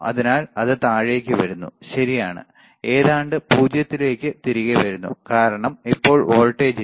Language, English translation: Malayalam, So, it is coming down, right; comes back to almost 0, because now there is no voltage